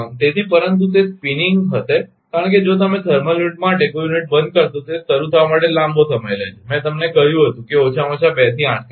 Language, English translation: Gujarati, So, but it will be spinning because, if you shut down in unit for thermal unit it takes long times to start, I told you that at least 2 to 8 hours